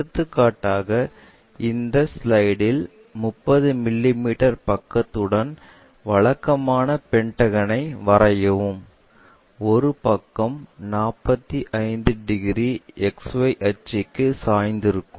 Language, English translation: Tamil, For example, on this slide, draw a regular pentagon of 30 mm sides with one side is 45 degrees inclined to XY axis